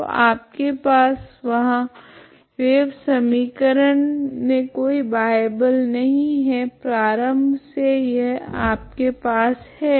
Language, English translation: Hindi, So you have a wave equation there is no external force initially these are the this is what you have